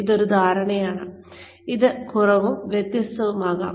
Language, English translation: Malayalam, This is a perception, may be lacking and uneven